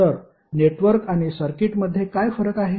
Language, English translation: Marathi, So what are the difference between network and circuit